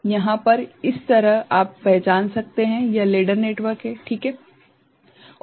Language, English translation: Hindi, This is this side you can recognise, this is the ladder network, right